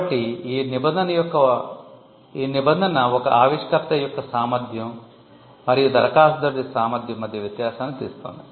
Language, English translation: Telugu, So, this provision brings out the distinction between the capacity of an inventor and the capacity of an applicant